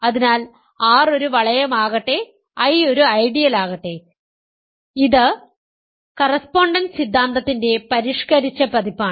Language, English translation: Malayalam, So, let R be a ring and let I be an ideal, this is a refined version of the correspondence theorem